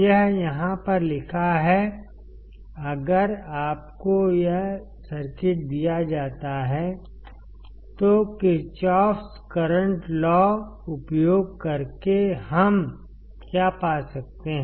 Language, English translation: Hindi, It is written over here, if you are given this circuit; then using Kirchhoff current law what we can find